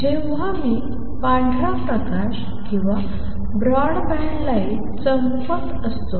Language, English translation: Marathi, When I am shining white light or a broad band light right